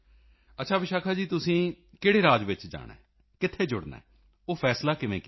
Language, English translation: Punjabi, Ok Vishakha ji, how did you decide on the choice of the State you would go to and get connected with